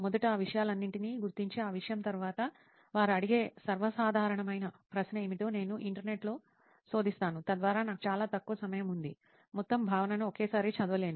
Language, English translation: Telugu, First, identifying all those things and then after that thing, I will search on Internet like what is the most common question that they ask, so that I have a very short time, I cannot read the whole concept in one time